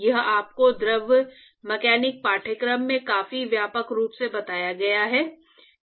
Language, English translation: Hindi, So, this has been dealt with the quite extensively in your fluid mechanic course